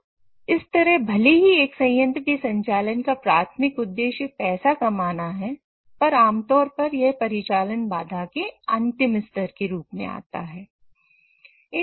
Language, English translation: Hindi, So in a way even though your primary objective of operating a plant is to make money, it typically comes as the last layer of your operational constraint